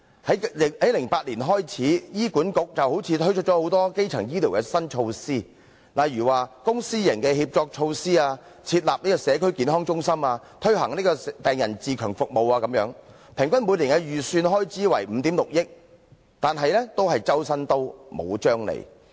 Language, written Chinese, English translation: Cantonese, 自2008年開始，醫院管理局好像推出了很多基層醫療的新措施，例如公私營協作措施、設立社區健康中心、推行病人自強服務等，平均每年的預算開支為5億 6,000 萬元，但總是"周身刀，無張利"。, Since 2008 HA seemed to have launched many new measures on primary health care such as public - private partnership measures setting up of community health centres and patient empowerment services and the average annual estimated expenditure is 560 million . But it is just Jack of all trades and master of none